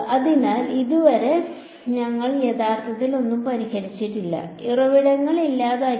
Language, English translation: Malayalam, So, so far we have not actually solved anything we have just eliminated sources